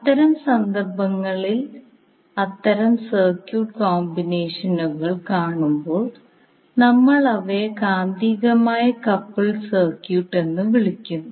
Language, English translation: Malayalam, So in those cases when we see those kind of circuit combinations we call them as magnetically coupled circuit